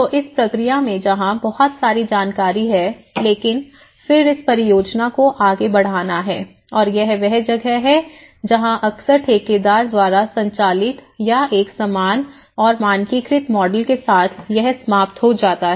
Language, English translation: Hindi, So, in this process, because there is a hell lot of information but then the project has to move on and that is where it often end up with a kind of contractor driven or an uniform and standardized models of it